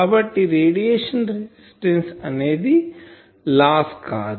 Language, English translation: Telugu, So, radiation resistance is the load in these